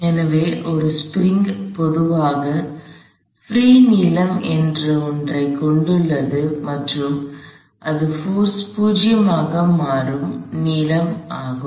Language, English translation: Tamil, So, a spring typically has something called a free length and that is a length at which the force becomes 0